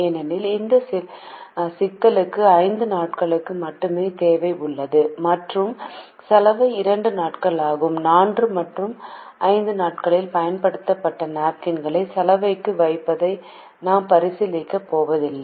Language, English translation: Tamil, because this problem has demand only for five days and the laundry takes two days, we are not going to consider putting the used napkins to the laundry on days four and five because when they come back they cannot be used